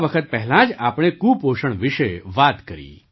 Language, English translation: Gujarati, We referred to malnutrition, just a while ago